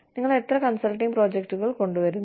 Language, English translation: Malayalam, How many consulting projects, you bring in